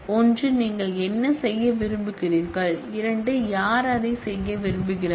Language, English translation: Tamil, One is what you want to do, and two is who wants to do that